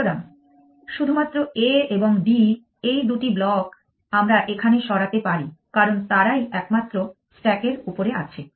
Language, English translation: Bengali, So, only A and D are the two blocks we can move here because they are of the only once on the top of the stack